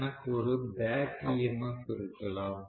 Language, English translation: Tamil, , I have some back EMF always right